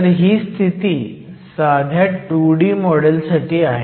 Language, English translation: Marathi, So, this is in the case of a simple 2 D model